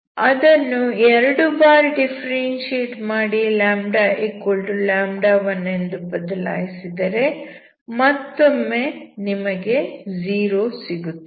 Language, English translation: Kannada, When you differentiate it twice and put λ=λ1 that is also zero